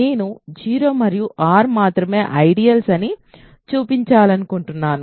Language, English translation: Telugu, I want to show that 0 and R are the only ideals